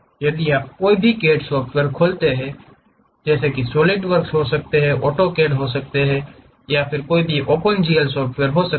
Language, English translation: Hindi, If you open any CAD software may be solid works, AutoCAD these options you will be have or Open GL